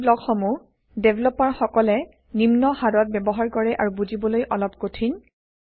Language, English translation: Assamese, These blocks are used rarely by developers and are a bit difficult to understand